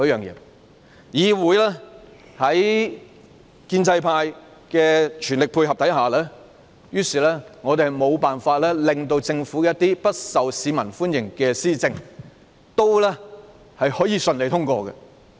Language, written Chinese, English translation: Cantonese, 議會在建制派全力配合下，我們無法制止一些不受市民歡迎的政府施政順利通過。, Thanks to the full cooperation of the pro - establishment camp in this Council we cannot thwart the smooth passage of government policies not welcomed by the public